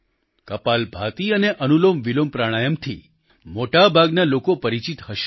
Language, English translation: Gujarati, Most people will be familiar with 'Kapalbhati' and 'AnulomVilom Pranayam'